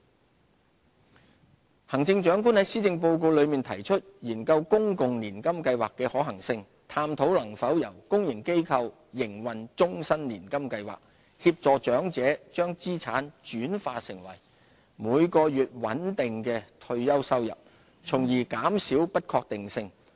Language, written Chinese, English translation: Cantonese, 公共年金計劃行政長官在施政報告內提出研究公共年金計劃的可行性，探討能否由公營機構營運終身年金計劃，協助長者將資產轉化成每月穩定的退休收入，從而減少不確定性。, Public Annuity Scheme In this years Policy Address the Chief Executive announced that the Government will study the feasibility of a public annuity scheme and explore whether we can have life annuity plans to be run by the public sector so as to help the elderly turn their assets into a stable monthly retirement income to reduce uncertainty